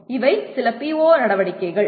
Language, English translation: Tamil, So these are some PO activities